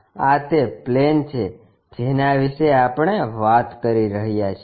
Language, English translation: Gujarati, This is the plane what we are talking about